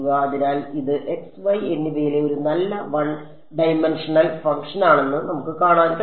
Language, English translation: Malayalam, So, we can see that this is a nice one dimensional function in x and y